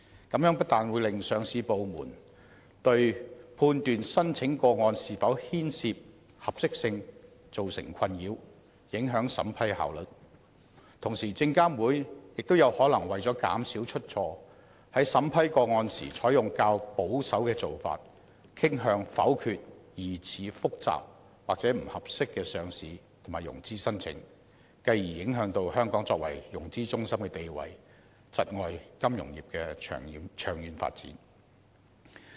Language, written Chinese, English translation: Cantonese, 這樣不但令上市部對判斷申請個案是否牽涉合適性造成困擾，影響審批效率，同時證監會亦可能為了減少出錯，在審批個案時採取較保守的做法，傾向否決疑似複雜或不合適的上市及融資申請，繼而影響香港作為融資中心的地位，窒礙金融業的長遠發展。, This will not only create ambiguities for the Listing Department in determining whether an application has suitability concerns and undermine the efficiency of vetting and approving listing applications SFC will also incline to adopting a relatively conservative approach in vetting and approving such applications in order to reduce errors . Listing and financing applications which are apparently complicated or which seem to have suitability concerns will be rejected and this will in turn affect the status of Hong Kong as a financing centre and stifle the long term development of the financial business